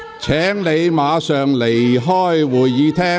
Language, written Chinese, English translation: Cantonese, 許智峯議員，請你離開會議廳。, Mr HUI Chi - fung please leave the Chamber